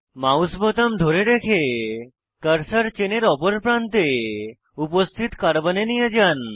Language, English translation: Bengali, Without releasing the mouse button, bring the cursor to the carbon present at the other end of the chain